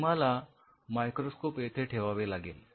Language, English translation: Marathi, You have to place microscope